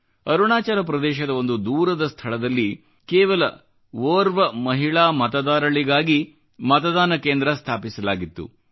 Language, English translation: Kannada, In a remote area of Arunachal Pradesh, just for a lone woman voter, a polling station was created